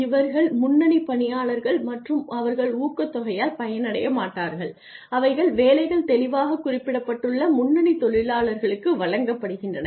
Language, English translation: Tamil, These are the staff frontline staff employees and they do not get benefited by the incentives that are given to frontline workers whose jobs are clearly specified